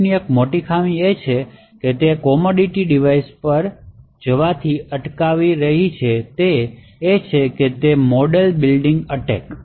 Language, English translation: Gujarati, One of the major drawbacks of PUFs which is preventing it quite a bit from actually going to commodity devices is these attacks known as model building attacks